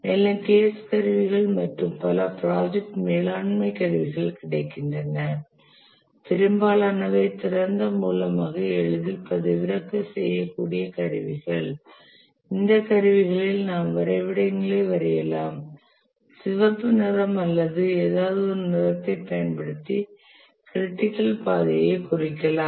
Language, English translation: Tamil, And the case tools, the project management tools that are available, many are open source, easily downloadable tools where you can draw such diagrams and that would indicate the critical path using a red color or something